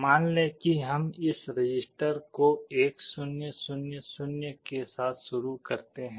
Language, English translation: Hindi, Let us say we initialize this register with 1 0 0 0